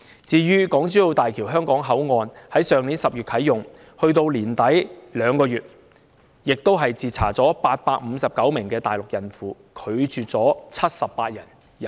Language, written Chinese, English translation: Cantonese, 至於港珠澳大橋香港口岸，入境處在口岸去年10月啟用後至去年年底共2個月期間，就截查了859名大陸孕婦，拒絕了78人入境。, As for Hong Kong Port of HZMB during the two months from its commissioning last October to the end of last year ImmD intercepted a total of 859 pregnant Mainland women with 78 of them being refused entry